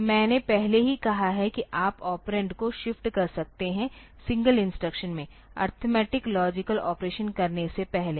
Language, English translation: Hindi, So, I have already said that you can shift the operand in a single in a single instruction before doing the arithmetic logic operation